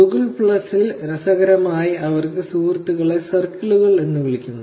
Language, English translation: Malayalam, In Google Plus interestingly they have the friends called as circles